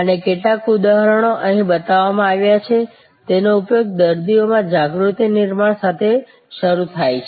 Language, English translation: Gujarati, And some of the examples are shown here, the use they start with awareness creation among patients